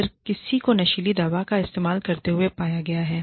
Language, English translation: Hindi, If somebody has been found, to be using drugs